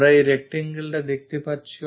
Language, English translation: Bengali, We are going to see this rectangle